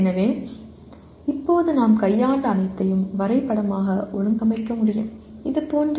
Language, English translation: Tamil, So but right now whatever we have handled till now can be graphically organized like this